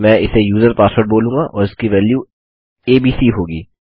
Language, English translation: Hindi, Ill call it user password and that will have the value abc